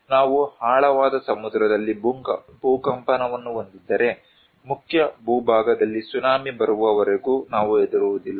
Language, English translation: Kannada, If we have earthquake in deep sea, we do not care unless and until the Tsunami comes on Mainland